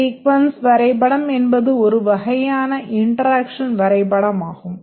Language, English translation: Tamil, Sequence diagram is one type of the interaction diagram